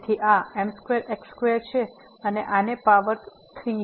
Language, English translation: Gujarati, So, this is square square and power this 3